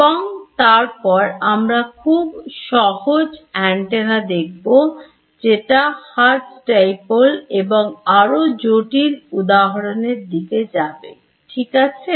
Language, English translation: Bengali, And then we will deal with the simplest antenna which is your hertz dipole and then go to more complicated cases right